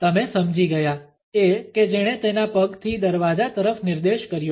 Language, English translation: Gujarati, You got it, the one with his foot pointing to the door